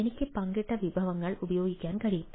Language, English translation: Malayalam, shared resources: i can use shared resources